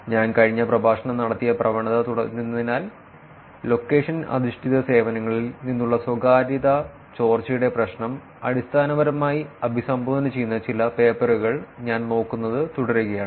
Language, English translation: Malayalam, Continuing the trend that I did last lecture, I am going to continue actually looking at some papers which are basically addressing the problem of privacy leakages from location based services